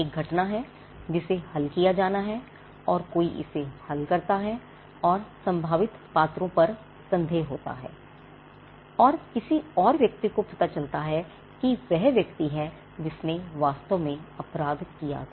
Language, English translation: Hindi, There is an event which has to be solved and somebody solves it there is a suspicion on the most possible characters and somebody else turns out to be the person who actually did the crime